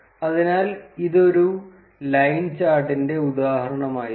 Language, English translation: Malayalam, So, this was the example of a line chart